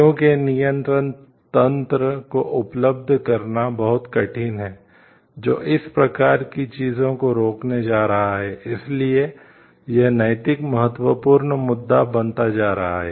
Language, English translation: Hindi, Because it is very hard to make a control mechanism available, who which is going to prevent these kind of things, that is why this is becoming more and important of moral significant issue